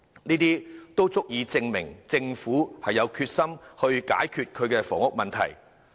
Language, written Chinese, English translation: Cantonese, 這些措施均足以證明政府有決心解決房屋問題。, All these measures can prove the Governments determination to solve the housing problem